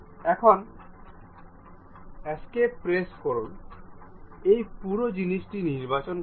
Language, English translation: Bengali, Now, press escape select this entire thing